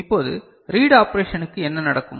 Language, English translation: Tamil, Now, what happens to read operation